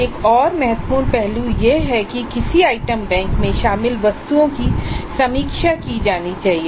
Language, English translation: Hindi, The another important aspect is that the items included in an item bank must be reviewed